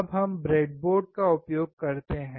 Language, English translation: Hindi, Now we use the breadboard